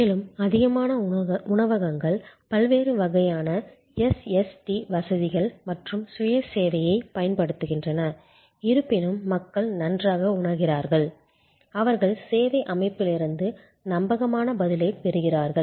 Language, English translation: Tamil, More and more restaurants are using the different types of SST facilities as well as self service and yet people feel good, they get a high level of reliable response from the service system